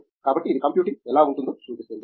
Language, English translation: Telugu, So, that shows how may be computing